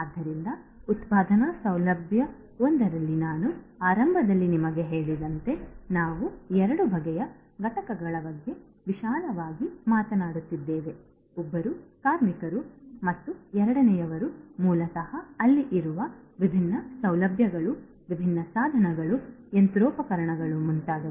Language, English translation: Kannada, So, as I told you at the outset in a manufacturing facility we are talking broadly about two types of entities, one is the workers and second is basically the different you know the different facilities that are there, the different devices the machinery and so on and so forth